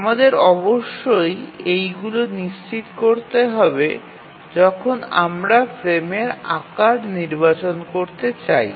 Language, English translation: Bengali, So, these are the three constraints we must ensure when we want to select the frame size